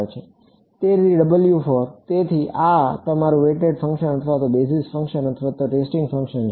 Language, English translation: Gujarati, So, W for; so, this is your weight function or basis function or testing function